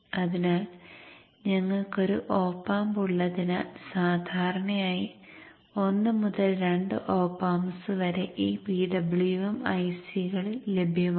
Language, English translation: Malayalam, So with one op am, there are normally one to two appams available most of these PWMICs